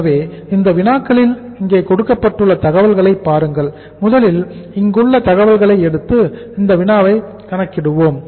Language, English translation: Tamil, So look at the information given there in these problems, first problem we are dealing with